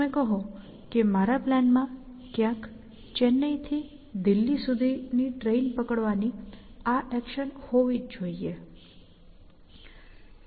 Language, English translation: Gujarati, You will say that somewhere in my plan, there must be this action of catching a train from Chennai to Delhi